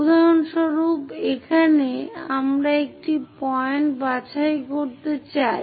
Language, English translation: Bengali, For example, here we would like to pick a point